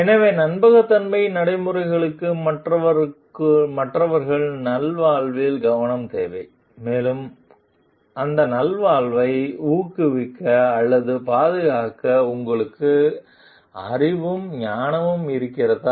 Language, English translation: Tamil, So, trustworthiness practices requires attention towards others well being and do you have the knowledge and wisdom to promote or safeguard that well being